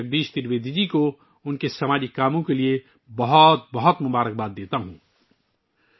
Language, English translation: Urdu, I wish Bhai Jagdish Trivedi ji all the best for his social work